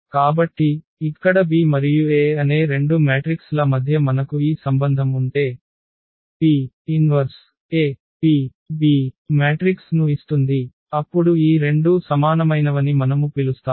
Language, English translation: Telugu, So, if we have this relation between the 2 matrices here B and A that P inverse AP gives the B the other matrix, then we call that these two are similar